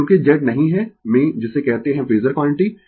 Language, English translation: Hindi, Because, Z is not in what you call phasor quantity